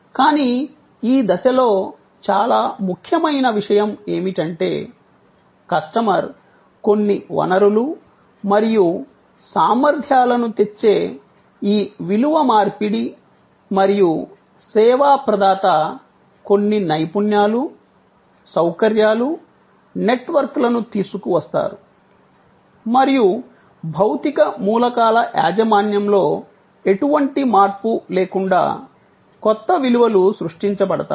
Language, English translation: Telugu, But, the most important point at this stage also to note is that, all these, this exchange of value, where the customer brings certain resources and competencies and the service provider brings certain skills, facilities, networks and together a new set of values are created without any change of ownership of the physical elements involved